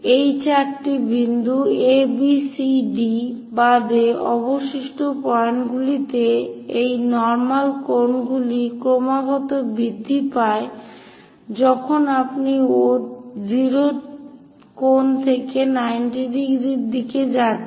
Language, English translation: Bengali, Except these four points A, B, C, D at remaining points these normal angle continuously increases as you go in that direction all the way from 0 angle to 90 degrees it increases